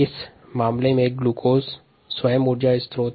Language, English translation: Hindi, the ah, glucose itself is the energy source